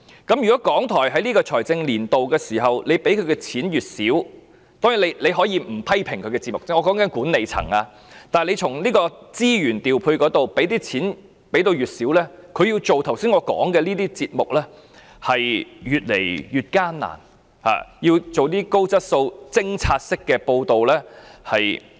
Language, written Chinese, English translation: Cantonese, 就財政年度撥款而言，當然，管理層可以不批評其節目，但卻在資源方面減少撥款，以致港台要製作我剛才提到的節目便越來越艱難，難以製作一些高質素的偵查式報道。, In respect of the provision for the financial year the management can refrain from criticizing the programmes of RTHK yet it reduces its provision and resources to make it increasingly difficult for RTHK to produce quality programmes on probing reports which I have just mentioned